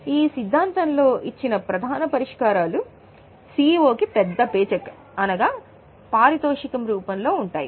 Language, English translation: Telugu, Now the major solutions given are in the form of big paycheck